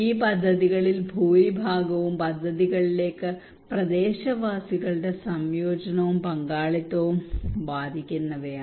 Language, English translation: Malayalam, Most of these projects are advocating the incorporations and involvement of the local people into the projects